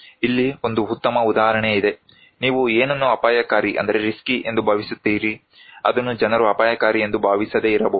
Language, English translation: Kannada, Here is a good example; what do you think as risky, people may not think is risky